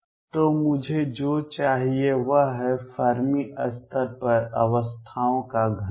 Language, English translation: Hindi, So, what I need is something called the density of states at the Fermi level